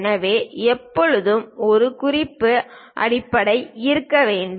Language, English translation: Tamil, So, that there always be a reference base